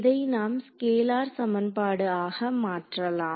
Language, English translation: Tamil, So, we can convert it into a scalar equation